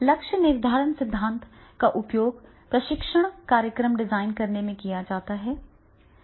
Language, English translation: Hindi, So, goal setting theory is used in training program design